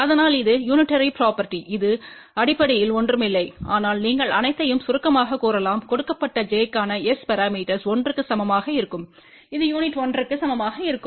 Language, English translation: Tamil, So, that is the unitary property which basically is nothing, but you can say that summation of all the S parameters for given j equal to 1 will be equal to 1 which is unit